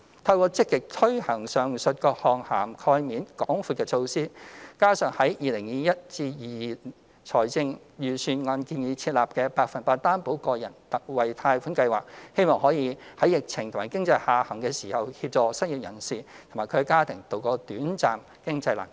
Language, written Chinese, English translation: Cantonese, 透過積極推行上述各項涵蓋面廣闊的措施，加上在 2021-2022 年度財政預算案建議設立的百分百擔保個人特惠貸款計劃，希望可在疫情和經濟下行時，協助失業人士及其家庭渡過短暫經濟難關。, Through the proactive implementation of the above mentioned measures which cover a wide range of people coupled with the Special 100 % Loan Guarantee for Individuals Scheme proposed in the 2021 - 2022 Budget we hope to help the unemployed and their families to tide over their short - term financial difficulties during the epidemic and economic downturn